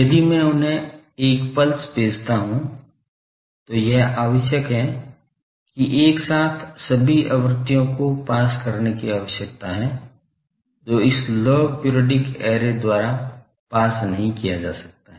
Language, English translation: Hindi, If I send a pulse to them, it needs that simultaneously all the frequencies need to be passed, that cannot be passed by this log periodic array